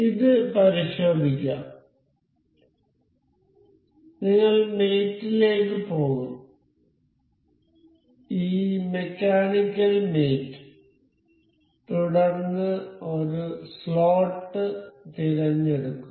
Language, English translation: Malayalam, Let us just check this we will go to mate, this mechanical mate then this we will select slot